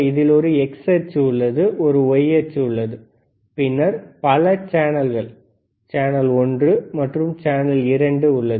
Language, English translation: Tamil, tThere is an x axis, there is a y axis, and then there is there are multiple channels, right channel one, channel 2